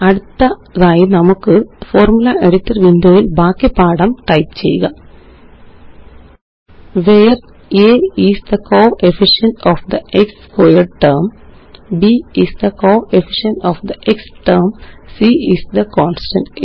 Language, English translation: Malayalam, Next let us type the rest of the text as follows in the Formula Editor window: Where a is the coefficient of the x squared term, b is the coefficient of the x term, c is the constant